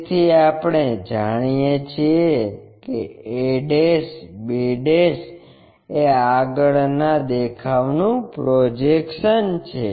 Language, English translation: Gujarati, So, we know a ' b ' is the front view projection